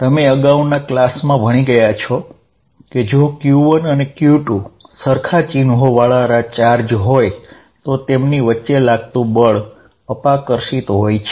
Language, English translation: Gujarati, Now, you learnt in your previous classes that, if q 1 and q 2 are of the same sign, then the force is repulsive